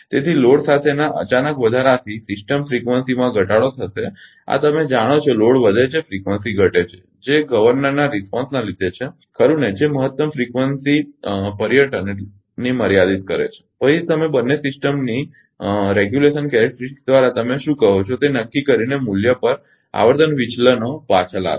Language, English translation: Gujarati, So, the sudden increase with load will result in a decrease in system frequency this you know load increases frequency decreases followed by the governor response right which limits the maximum frequency excursion and your subsequently brings the frequency deviation back to a value determine your what you call by the ah your regulation characteristic of both system